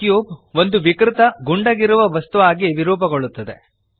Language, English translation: Kannada, The cube deforms into a distorted ball